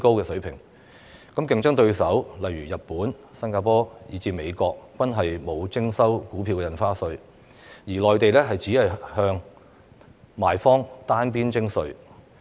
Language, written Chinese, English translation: Cantonese, 香港的競爭對手如日本、新加坡以至美國均沒有徵收股票印花稅，而內地亦只向賣方單邊徵稅。, Our competitors such as Japan Singapore and the United States do not impose any Stamp Duty and this tax is only payable by the sellers in the Mainland